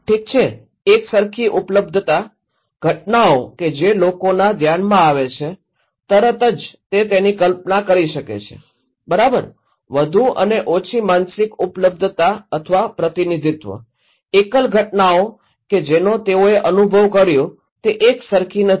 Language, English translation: Gujarati, Okay, alike availability, events that come to people’s mind immediately they can imagine it okay, high and less mentally available or representativeness, singular events that they experience not exactly the same